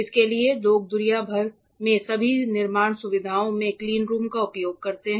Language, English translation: Hindi, For this people use cleanrooms throughout the world in all fabrication facilities